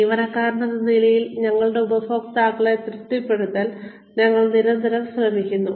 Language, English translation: Malayalam, As employees, we are constantly trying to please our customers